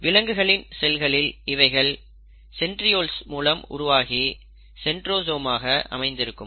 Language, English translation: Tamil, In animal cells, they are made, thanks to the presence of centrioles, and it is organized in a structure called centrosome